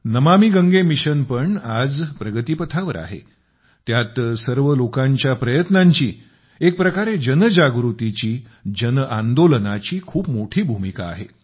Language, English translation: Marathi, The Namami Gange Mission too is making advances today…collective efforts of all, in a way, mass awareness; a mass movement has a major role to play in that